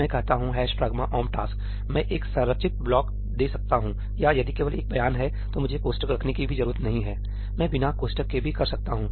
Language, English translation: Hindi, I say ëhash pragma omp taskí; I can give a structured block or if there is only one statement, then I do not even need to put a parentheses , I can do without parenthesis